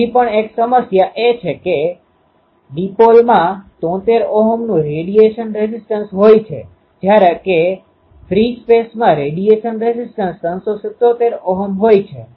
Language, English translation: Gujarati, One of the still problem is there that dipole has a radiation resistance of 73 Ohm whereas, free space has a radiation resistance of 377 Ohm